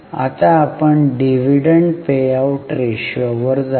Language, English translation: Marathi, Now we will try to to dividend payout ratio